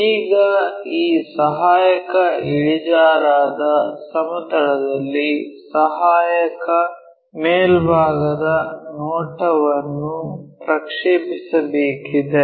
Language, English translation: Kannada, Then project auxiliary top view onto auxiliary inclined plane